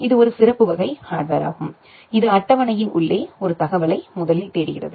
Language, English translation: Tamil, It is a special type of hardware which makes first lookup of an information inside the table